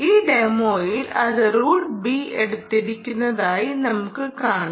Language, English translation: Malayalam, in this particular demonstration, what we have shown is that it has taken route b